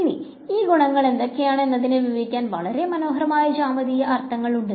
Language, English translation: Malayalam, Now there are some very beautiful geometric meanings of what these quantities are